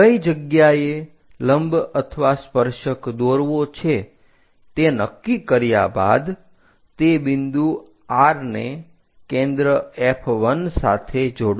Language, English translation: Gujarati, After deciding where you would like to draw the normal or tangent connect that point R with focus F 1